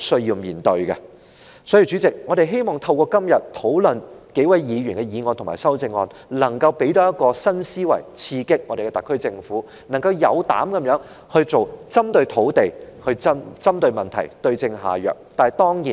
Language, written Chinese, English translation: Cantonese, 因此，代理主席，透過今天討論數位議員的議案及修正案，我們希望能夠提供新思維刺激特區政府，令其有膽量地從土地的供應針對問題，對症下藥。, Therefore Deputy President through the discussion on this motion and its amendments proposed by a number of Members today we hope to present a new mindset to stimulate the SAR Government so that it will have the courage to tackle the problem through land supply and prescribe the right cure for this ill